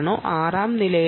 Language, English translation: Malayalam, are you in the fifth floor, sixth floor